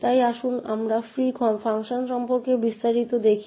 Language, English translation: Bengali, So let us look at details about the free function called